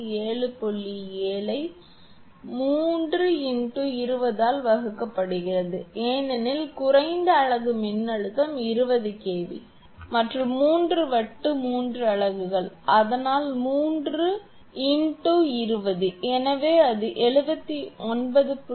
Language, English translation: Tamil, 7 divided by 3 into 20 because lowest unit voltage is 20 kV and there are three disk three units, so 3 into 20, so it will come around 79